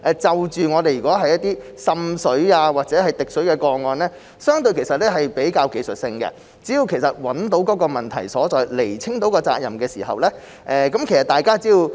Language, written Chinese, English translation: Cantonese, 所以，過去滲水或滴水的個案，屬於相對比較技術性，只要找到問題所在，釐清責任，做好自己的本分，很多問題也可以解決得到。, Therefore past cases of water seepage or dripping were only technical issues and as long as the parties could detect the problems delineate their responsibilities and do their part many problems could be solved